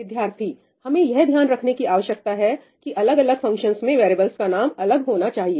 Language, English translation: Hindi, We also have to take care that variable names in different functions are different